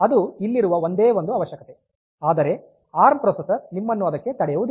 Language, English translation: Kannada, So, that is the only requirement, but this arm processor will not stop you to that